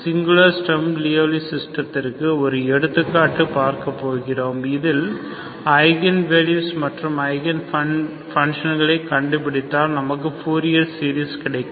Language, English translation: Tamil, I will give you an example of singular Sturm Louisville system that from which, for which if you find eigenvalues and again functions you can get a fourier series there as well